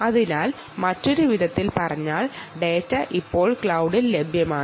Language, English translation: Malayalam, so, in other words, quite seamlessly, you can see the data is now available on the cloud